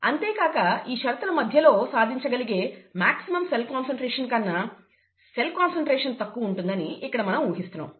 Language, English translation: Telugu, And of course, we are assuming that the cell concentration is less than the maximum cell concentration that is possible to achieve under those set of conditions